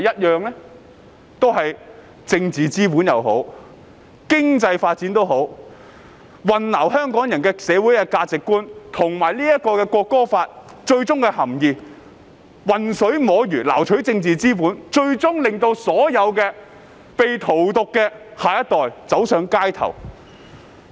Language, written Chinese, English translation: Cantonese, 用政治或經濟發展來混淆香港人的社會價值觀和《條例草案》的含意，混水摸魚的撈取政治資本，最終令到所有被荼毒的下一代走上街頭。, They used political or economic developments to confuse Hong Kong peoples social values and the objectives of the Bill while taking advantage of the situation to reap political capital . Eventually the next generation poisoned by them took to the streets